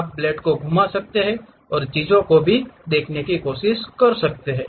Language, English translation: Hindi, In fact, you can rotate the blades and try to observe the things also